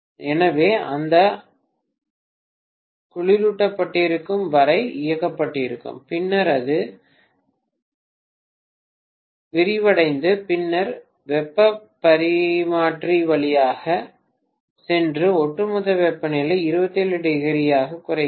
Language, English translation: Tamil, So that compressor is going to be ON for maybe as long as it is the coolant is compressed and then it is expanded and then it goes through the heat exchanger and overall temperature comes down to 27°